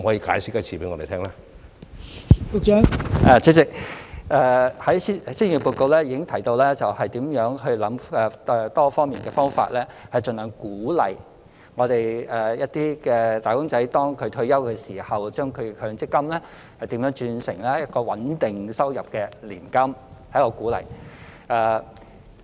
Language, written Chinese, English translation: Cantonese, 代理主席，施政報告已提到如何構思多方面的方法，盡量鼓勵"打工仔"在退休時將其強積金轉成可提供穩定收入的年金，這是一種鼓勵。, Deputy President the Policy Address has already mentioned how to devise various ways to encourage wage earners as far as possible to convert their MPF assets into annuities which can provide a stable income for their retirement . This is a kind of encouragement